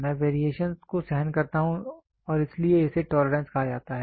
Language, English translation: Hindi, I tolerate the variations and that is why it is called as tolerance